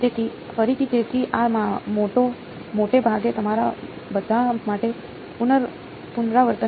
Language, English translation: Gujarati, So, again, so this is mostly revision for you all